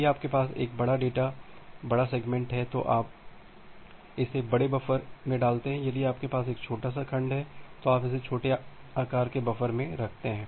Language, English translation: Hindi, If you have a large data large segment, you put it in the large buffer; if you have a small segment, you put it in a small buffer